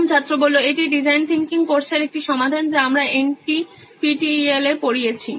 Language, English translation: Bengali, This is a solution for design thinking course we are teaching on NPTEL